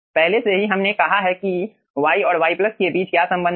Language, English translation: Hindi, okay, already we have said what is, aah, the relationship between y and y plus